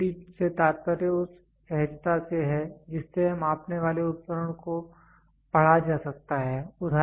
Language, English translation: Hindi, Readability it refers to the ease with which the reading of a measuring instrument can be read